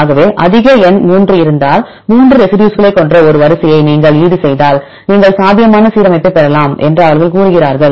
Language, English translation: Tamil, So, then this case they tell that if there is more number 3, if you offset one sequence with 3 residues right then you can get the probable alignment